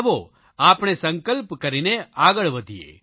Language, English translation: Gujarati, Let us forge ahead with a strong resolution